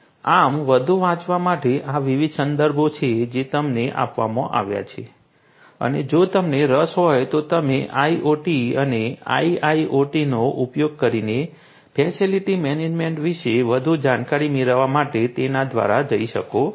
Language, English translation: Gujarati, So, for further reading these are these different references that have been given to you and in case you are interested you can go through them to get further insights about facility management and facility management using IoT and IIoT